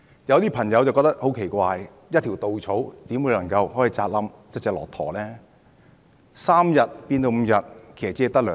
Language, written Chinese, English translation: Cantonese, 有些朋友會覺得很奇怪，一條稻草怎可能壓垮一隻駱駝呢？, Some people may find such a remark strange . After all how can such a straw possibly break a camels back?